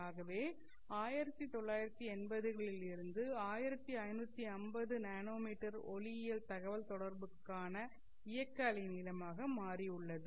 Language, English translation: Tamil, So 1550 nanometer has become the operating wavelength for optical communication since the 1980s